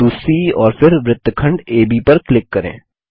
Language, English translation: Hindi, Click on the point C and then on segment AB